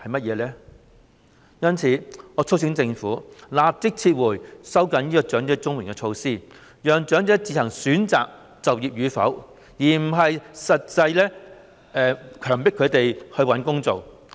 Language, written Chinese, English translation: Cantonese, 因此，我促請政府立即撤回收緊領取長者綜援金資格的措施，讓長者自行選擇就業與否，而非強迫他們找工作。, In view of this I urge the Government to withdraw the measure of tightening the eligibility for receiving elderly CSSA immediately and let elderly people choose on their own whether or not to take up employment rather than forcing them to find work